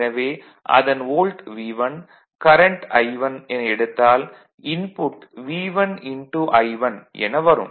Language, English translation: Tamil, Input here is V 1 I 1 and output here is current is I 2